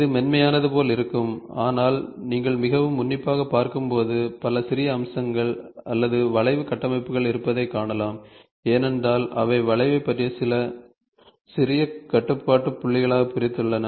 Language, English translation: Tamil, So, it will look as though it is smooth, but when you watch very closely you can see several small facets are there or curve structures, because they have discretized the curve into several small control point